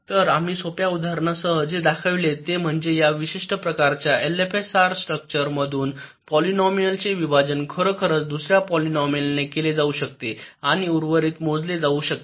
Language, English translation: Marathi, so what we have shown with the simple example is that this special kind of l f s s structure can really divide a polynomial by another polynomial and compute the remainder